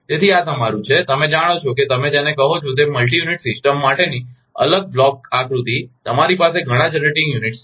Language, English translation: Gujarati, So, this is your, you know what you call that isolated block diagram for multi unit system you have